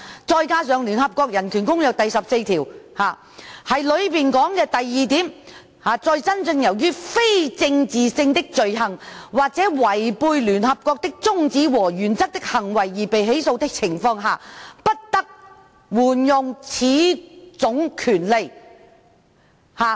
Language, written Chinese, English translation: Cantonese, 再加上聯合國《世界人權宣言》第十四條二指出，"在真正由於非政治性的罪行或違背聯合國的宗旨和原則的行為而被起訴的情況下，不得援用此種權利。, On top of that Article 142 of the Universal Declaration of Human Rights of the United Nations states that This right may not be invoked in the case of prosecutions genuinely arising from non - political crimes or from acts contrary to the purposes and principles of the United Nations